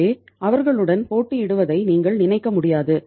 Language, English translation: Tamil, So you cannot think of competing with them